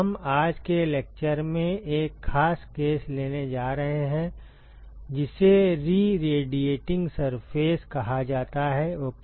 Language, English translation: Hindi, We are going to take a specific case in today’s lecture is called the re radiating surface ok